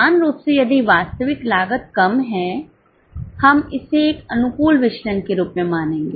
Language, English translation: Hindi, Same way if actual cost is lesser, we will consider it as a favorable variance